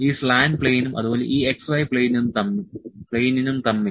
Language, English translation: Malayalam, This is z y plane, this is z x plane